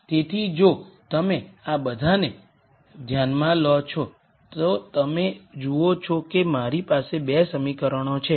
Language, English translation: Gujarati, So, if you notice all of this, you see that I have 2 equations